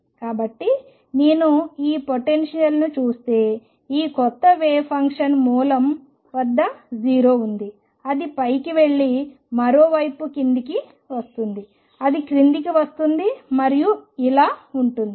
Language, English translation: Telugu, So, if I look at this potential this new wave function is 0 at the origin goes up and comes down on the other side it comes down and goes like this